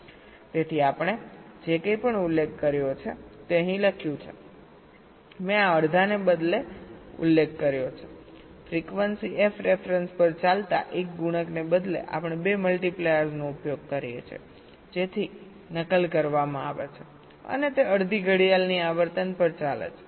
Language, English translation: Gujarati, i have mentioned, instead of this, half, instead of one multiplier running at a frequency f ref, we use two multipliers, so replicated, and they run at half the clock frequency